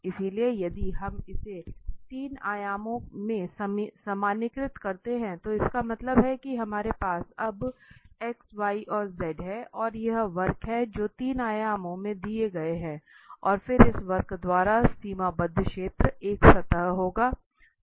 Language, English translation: Hindi, So, if we generalize this in 3 dimensions, that means, we have now X Y Z and there is a curve which is given in 3 dimensions and then the bounded region by this curve will be a surface